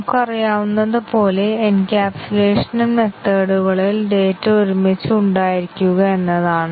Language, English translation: Malayalam, Encapsulation as we know is having the data in the methods together